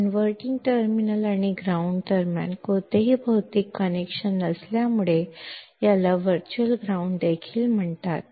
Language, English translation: Marathi, As there is no physical connection between inverting terminal and ground, this is also called virtual ground